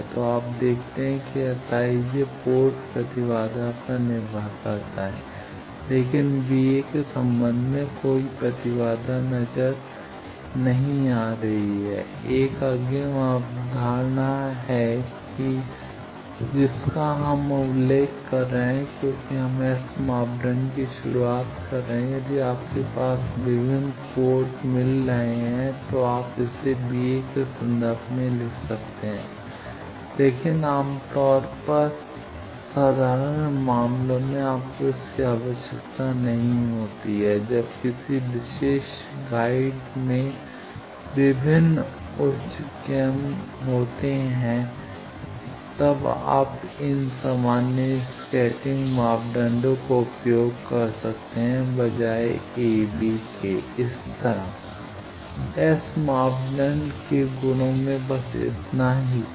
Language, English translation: Hindi, So, you see that S i j depends on port impedances, but in terms of b a there are no impedance coming this is 1 advance concept just we are mentioning because we are introducing S parameter that, if you have various port getting you can write it in terms of this a b, but this generally in simple cases you do not require this is when in in a particular guide various higher order modes are traveling you can use these generalized scattering parameters a b instead of V plus V minus